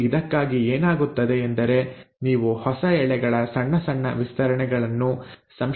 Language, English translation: Kannada, And this, what happens for this one is that you end up having small small stretches of new strands synthesised